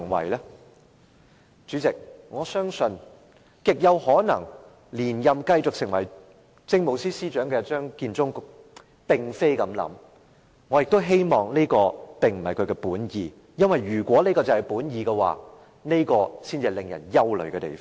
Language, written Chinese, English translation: Cantonese, 代理主席，我相信極有可能連任成為下一屆政務司司長的張建宗並不是這樣想，我也希望這並不是他的本意，因為如果這是他的本意，才是令人憂慮的地方。, Deputy President I believe that Matthew CHEUNG who is highly likely the Chief Secretary in the next - term Government does not think so; and if he really thinks so that will most worrisome